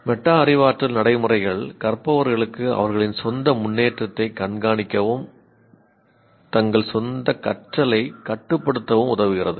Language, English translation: Tamil, Metacognitive practices help learners to monitor their own progress and take control of their own learning